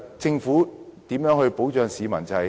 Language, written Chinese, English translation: Cantonese, 政府應如何保障市民？, How should the Government protect members of the public?